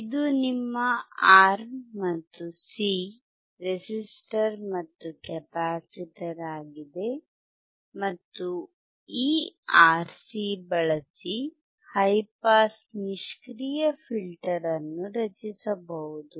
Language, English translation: Kannada, This is your R and C resistor and capacitor, and using this RC you can form your high pass passive filter